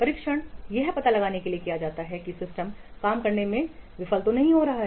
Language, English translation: Hindi, Testing is carried out to detect if the system fails to work